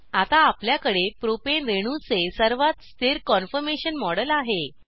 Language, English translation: Marathi, We now have the model of the most stable conformation of Propane molecule